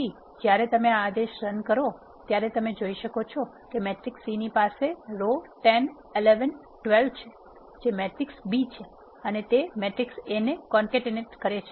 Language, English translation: Gujarati, So, when you do this command you can see that the matrix C is having the row 10 11 12 which is the matrix B and is concatenated to the matrix A